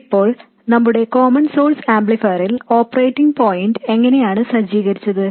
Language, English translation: Malayalam, Now how did we set up the operating point in our common source amplifier